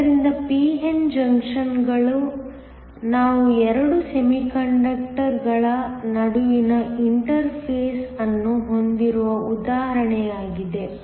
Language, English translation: Kannada, So, p n junctions are an example where we have an interface between 2 semiconductors